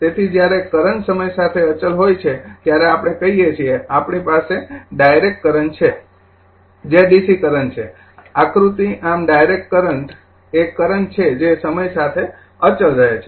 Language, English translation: Gujarati, So, when a current is constant with time right, we say that we have direct current that is dc current, I will show you the diagram thus a direct current is a current that remain constant with time